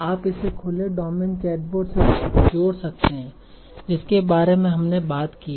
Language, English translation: Hindi, So you can contrast it with the open domain chatbot that we talked about